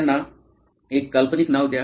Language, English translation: Marathi, Give them a fictional name